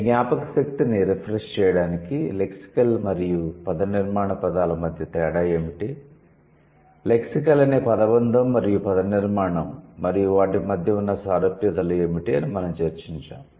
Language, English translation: Telugu, To refresh your memory, we did discuss what is the difference between lexical and morphological the words, the phrase lexical and the phrase morphological and what are the similarities that you might have